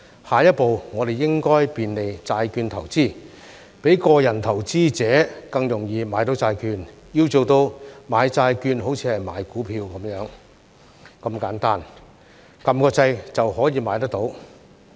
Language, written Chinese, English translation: Cantonese, 下一步，我們應該便利債券投資，讓個人投資者更容易買到債券，要做到"買債券好像買股票"般如此簡單，按下按鈕就可以買得到。, Our next step should be facilitating bond investment to make it easier for individual investors to purchase bonds such that purchasing bonds can be as simple as purchasing stocks . All it takes will be pressing a few buttons